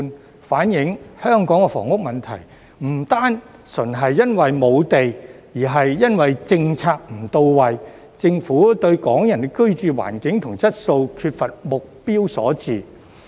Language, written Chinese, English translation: Cantonese, 這反映香港房屋問題不單純是因為沒有地，而是因為政策不到位，政府對港人的居住環境及質素缺乏目標所致。, This reflects that the housing problem in Hong Kong is not simply due to the lack of land but also due to inadequate policies and the Governments lack of goals for the living environment and quality of Hong Kong people